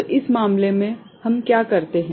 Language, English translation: Hindi, So, in this case for, what we do